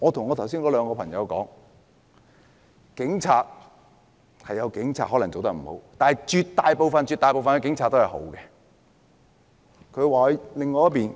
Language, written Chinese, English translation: Cantonese, 我對那兩個朋友說，可能有警察做得不好，但絕大部分警察都是好的。, I also told my two friends that some police officers might misbehave but most police officers were good